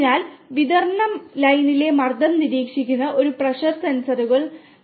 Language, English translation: Malayalam, So, like we have pressure sensors which are monitoring pressure in the distribution line